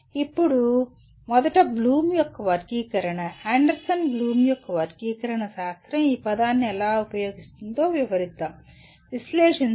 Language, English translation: Telugu, Now first let us describe how the Bloom’s taxonomy, Anderson Bloom’s taxonomy uses the word analyze